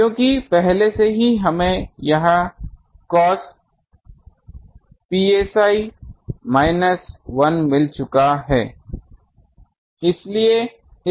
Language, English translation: Hindi, Because already we have found this cos psi minus 1 is this